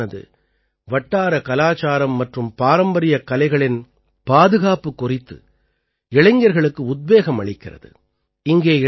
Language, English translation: Tamil, This club inspires the youth to preserve the local culture and traditional arts